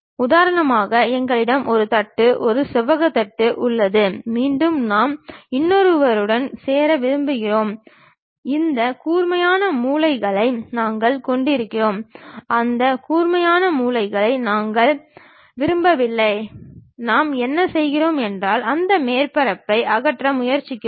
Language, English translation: Tamil, For example, we have a plate, a rectangular plate and again we want to join by another one, we have this sharp corners we do not want that sharp corners, what we do is we try to remove that surface make it something like smooth